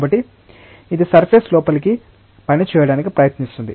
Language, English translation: Telugu, So, it tries to act inward to the surface